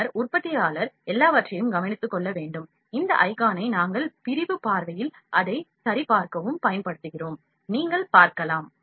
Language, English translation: Tamil, Then the manufacturer has to take care of everything, we use this icon to check it in the section view, you can see